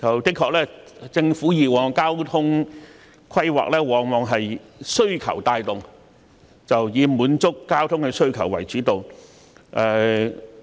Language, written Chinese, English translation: Cantonese, 的確，政府的交通規劃往往是需求帶動，以滿足交通的需求為主導。, It is true that the Governments transport planning is often driven by demand with the aim of meeting the demand for transport services